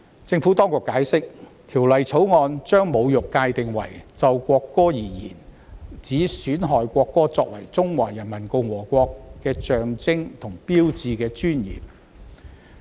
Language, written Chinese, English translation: Cantonese, 政府當局解釋，《條例草案》將"侮辱"界定為"就國歌而言，指損害國歌作為中華人民共和國的象徵和標誌的尊嚴"。, The Administration has explained that the Bill defines insult as in relation to the national anthem to undermine the dignity of the national anthem as a symbol and sign of the Peoples Republic of China